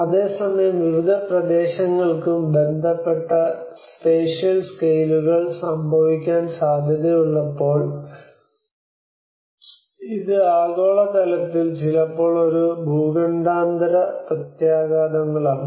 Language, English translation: Malayalam, Whereas the spatial scales respective to regions and localities prone to occur, well it is a global scale sometimes is a continental and intercontinental impacts